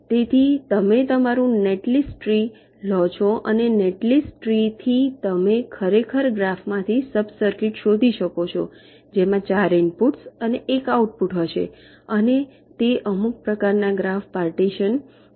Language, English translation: Gujarati, so you take your netlist tree and from the netlist tree you actually find out sub circuits from the graph which will be having upto four inputs and one outputs and do a some kind of graph partitioning